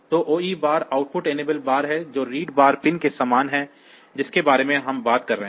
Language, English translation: Hindi, So, OE bar is the output enable bar which is same as the read bar pin that we are talking about